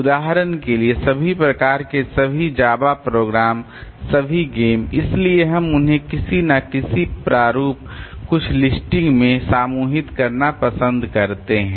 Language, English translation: Hindi, For example all types of all Java programs, all games, so they may be we may like to group them into some form form some listing